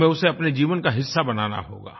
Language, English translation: Hindi, We'll have to make it part of our life, our being